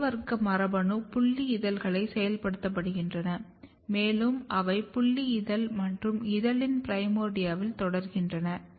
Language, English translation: Tamil, So, A class gene they get activated in the sepal and they continue in the sepal and petal primordia